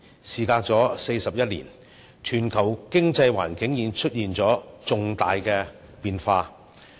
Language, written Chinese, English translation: Cantonese, 事隔41年，全球經濟環境已出現重大變化。, Over the past 41 years there have been radical changes in the global economic environment